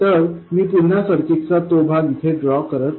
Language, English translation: Marathi, Let me put down that part of the circuit again